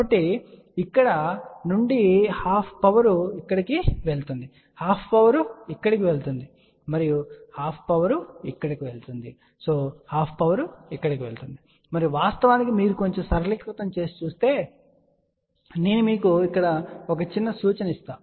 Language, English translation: Telugu, So, from here then half power goes here half power goes here and half power goes over here half power goes over here and in fact if you just do little bit of a simplification I will just give you a little hint here